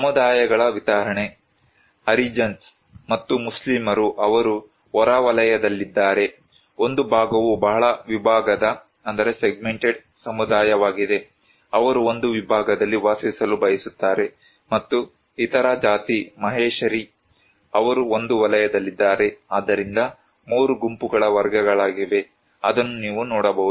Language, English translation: Kannada, A distribution of communities; you can see that the Harijans and Muslims, they are on the outskirt one side is a very segmented community, they prefer to live in one segments and also, the other caste that is Maheshari, they are in one sector they are, so they are 3 groups category you can see